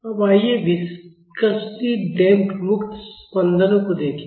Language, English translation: Hindi, Now, let us look at viscously damped free vibrations